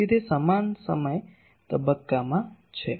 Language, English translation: Gujarati, So, there in same time phase